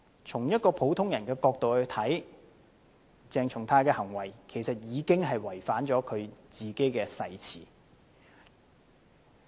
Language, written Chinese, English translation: Cantonese, 從普通人的角度看來，鄭松泰議員的行為其實已經違反自己的誓詞。, In the eyes of an ordinary man in the street Dr CHENG Chung - tais behaviour is already in breach of his own oath